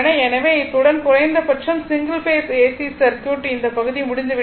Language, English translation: Tamil, So, with these right our single phase AC circuit at least this part is over right